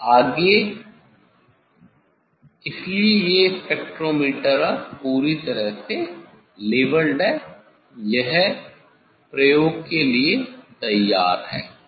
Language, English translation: Hindi, next, so these spectrometer is now, completely leveled ok, it is ready for the experiment